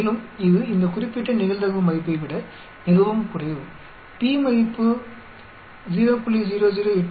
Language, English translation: Tamil, And this is much less than this particular probability value so obviously, the p value < 0